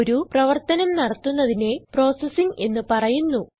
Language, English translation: Malayalam, The task of performing operations is called processing